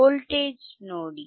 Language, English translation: Kannada, See the voltage